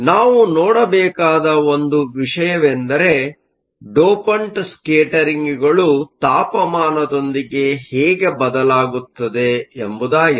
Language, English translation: Kannada, The one thing we have to see is how the dopants scattering changes with temperature